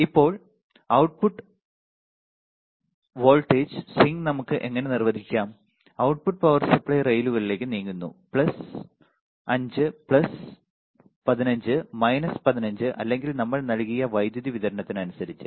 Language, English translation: Malayalam, Now, output voltage swing the output voltage, output voltage swing how we can define, the output kind swing all the way to the power supply rails right, cannot go all the way to plus 5 plus 15 minus 15 or whatever power supply we have given